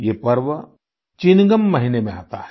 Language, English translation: Hindi, This festival arrives in the month of Chingam